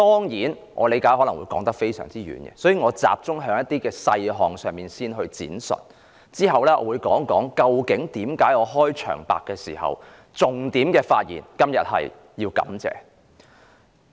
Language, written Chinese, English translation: Cantonese, 為免把話題扯遠，我會先集中在某些細項上闡述，之後我會再談談，為何我今天開場白的發言重點是"感謝"。, In order not to stray from the subject I will begin my speech by focusing on some details before explaining why I have placed an emphasis on gratitude in my opening remarks